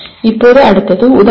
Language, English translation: Tamil, Now next is Exemplify